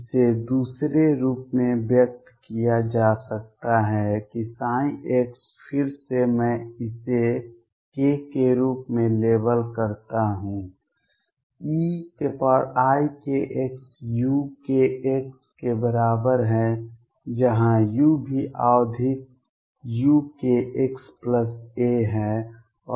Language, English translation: Hindi, This can be expressed in another form that psi x again I label it as k is equal to e raise to i k x u k x where u is also periodic u k a plus x